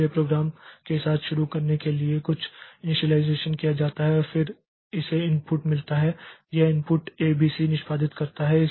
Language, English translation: Hindi, So, to start with the program does some initialization and then it gets the input, it executes the input A, B, C